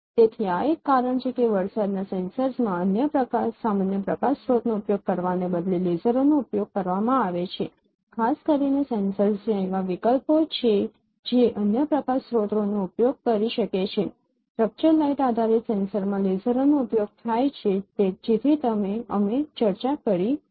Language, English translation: Gujarati, So, this is a reason why lasers are used instead of using any other ordinary light source in the range sensors particularly the sensors which are wired there are where there are options that now you could have used other light sources still lasers are used in structured light based sensors that we discussed so let me give a here